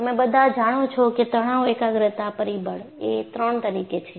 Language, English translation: Gujarati, So, you all know stress concentration factor is 3